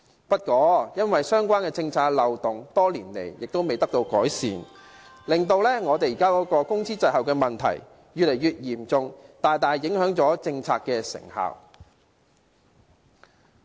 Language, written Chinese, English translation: Cantonese, 不過，因為相關政策的漏洞多年來未獲堵塞，令工資滯後的問題越來越嚴重，大大影響了政策的成效。, However as the loopholes in the relevant policy have not been plugged over the years the minimum wage rate is embroiled in an increasingly serious lag which significantly affects the effectiveness of the policy